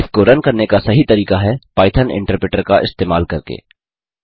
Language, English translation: Hindi, The correct method is to run it using the Python interpreter